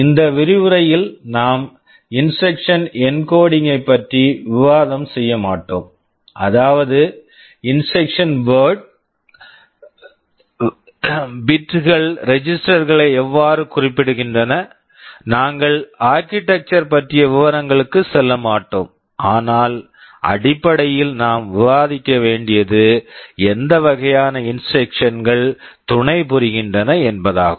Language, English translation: Tamil, In these lectures we shall not be discussing about the instruction encoding; that means, exactly how the bits of the instruction word specify the registers; we shall not be going into that detail of the architecture, but essentially what kind of instructions are supported those we shall be discussing